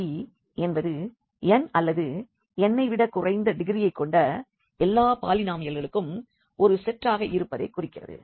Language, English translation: Tamil, So, P n t denotes the set of all polynomials of degree less than or equal to n